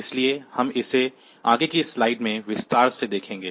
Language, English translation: Hindi, So, we will see it in more detail in the successive slides